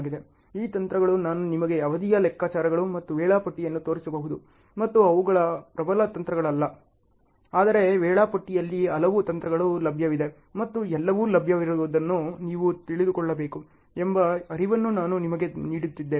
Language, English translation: Kannada, These techniques I may not be showing you duration calculations and scheduling and so on, they are not that powerful techniques; but I am just giving you an awareness that there are so many techniques available in scheduling and you should know what are all available